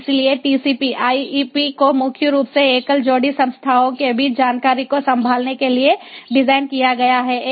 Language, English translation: Hindi, so tcp ip is designed mainly for handling information between single pair of entities